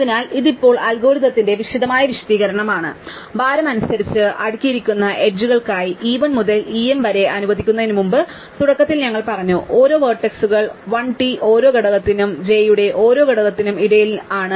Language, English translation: Malayalam, So, this is now detailed explanation of the algorithm, so as before we let e 1 to e m being the edges sorted by weight, initially we say let every vertex 1 to n is in its own components for every j among to n components of j is j